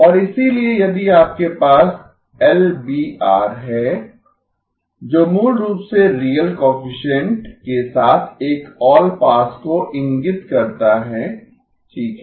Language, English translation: Hindi, And therefore if you have LBR that basically points to an allpass with real coefficients okay